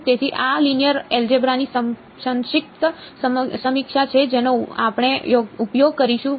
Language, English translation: Gujarati, So, here is where your knowledge of linear algebra will come into play